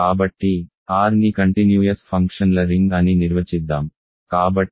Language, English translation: Telugu, So, let us define R to be the ring of continuous functions